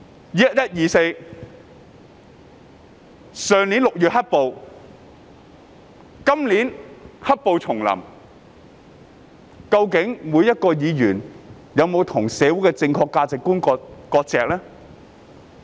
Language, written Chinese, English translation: Cantonese, "1124" 區議會選舉、去年6月的"黑暴"及今年"黑暴"重臨，究竟議員有否與社會上不正確的價值觀割席？, During the 1124 District Council election the black violence last June and the return of the black violence this year have Members severed ties with the wrong values in the society?